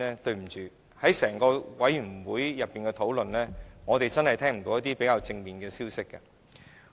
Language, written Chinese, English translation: Cantonese, 在整個法案委員會的討論方面，我們真的聽不到一些較正面的消息。, During the discussion of the Bills Committee we really could not hear any rather positive messages